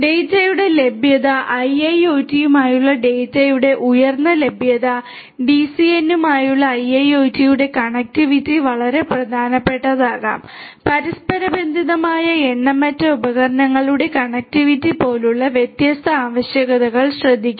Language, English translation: Malayalam, Availability of the data high availability of the data with IIoT will make the connectivity of IIoT with DCN very important, taking care of different requirements such as connectivity of in innumerable number of devices which are interconnected